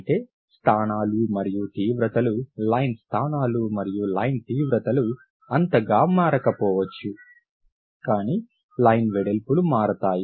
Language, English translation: Telugu, Whereas the positions and intensities, the line positions and line intensities may not change that much but line bits will change